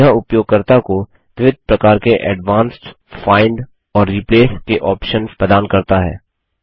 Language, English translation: Hindi, They provide users with various types of advanced find and replace options